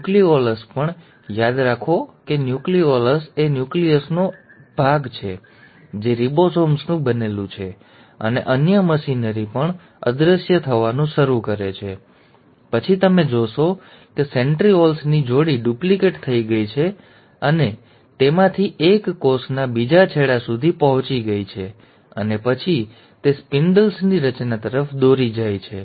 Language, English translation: Gujarati, Even the nucleolus, remember nucleolus is the part of the nucleus which consists of ribosomes and other machinery also starts disappearing, and then, you find that the pair of centrioles have duplicated and one of them has reached the other end of the cell and then, these are leading to formation of spindles